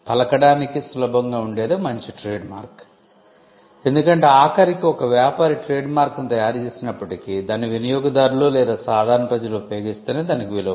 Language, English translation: Telugu, A good trademark as a mark that is easy to speak and spell, because at the end of the day a trader though he coins the trademark it should be used by the users or the general public